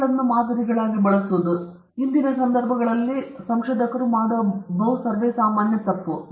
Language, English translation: Kannada, Using animals as models there are different ways researchers use animals in todayÕs context